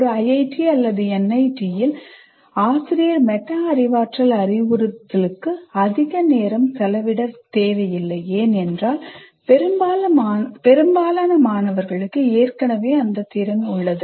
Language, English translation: Tamil, So in an IIT or in an NIT, if you don't, if the teacher doesn't spend much time on metacognitive instruction, it may be okay because people are able to, they already have that skill, that ability